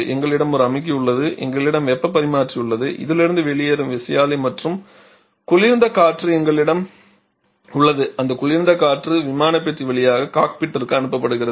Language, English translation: Tamil, We have a compressor we have the heat exchanger and you have the turbine and the cold air that is coming out of this that cold air is circulated through the aircraft compartment to the cockpit